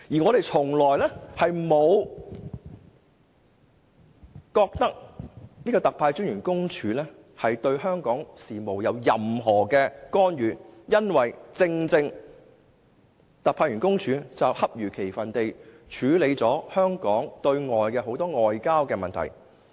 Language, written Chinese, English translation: Cantonese, 我們從來不覺得特派員公署對香港事務有任何干預，因為它只是恰如其分地處理了很多香港的外交問題。, We have never found OCMFA interfering in Hong Kongs affairs because it has acted appropriately to deal with Hong Kongs diplomatic affairs